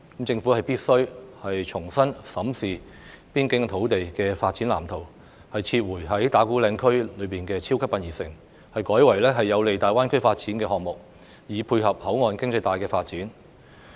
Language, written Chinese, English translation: Cantonese, 政府必須重新審視邊境土地的發展藍圖，撤回在打鼓嶺區內興建"超級殯儀城"，改為有利大灣區發展的項目，以配合口岸經濟帶的發展。, The Government must re - examine the development blueprint for the border area by withdrawing the large - scale columbarium development in Ta Kwu Ling area and instead developing projects that will facilitate the development of GBA so as to dovetail with the development of the port economic belt